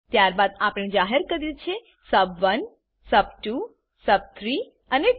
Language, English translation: Gujarati, Then we have declared sub1, sub2, sub3 and total